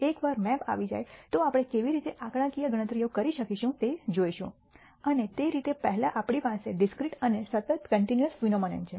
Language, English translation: Gujarati, We will see how we can do numerical computations once we have such a map and before in a way similar way we have discrete and continuous random phenomena